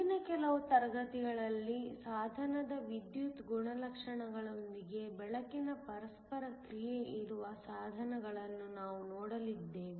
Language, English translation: Kannada, In the next few classes, we are going to look at devices where there is interaction of light with the electrical properties of the device